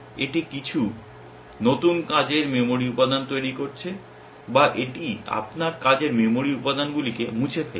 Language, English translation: Bengali, It is making some new working memory elements or it is deleting of you working memory elements